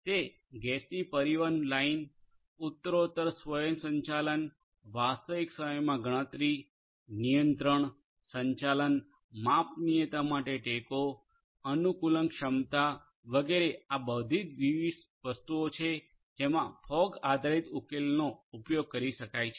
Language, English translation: Gujarati, Those gas pipe transmission lines step by step automation, real time computation, control, management, support to scalability, adaptability etcetera all of these are different things that can be done using a fog based solution